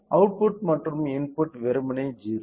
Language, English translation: Tamil, So, the output and input are simply 0